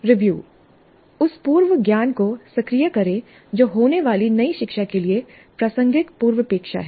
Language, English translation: Hindi, Activate the prior knowledge that is relevant, prerequisite to the new learning that is to take place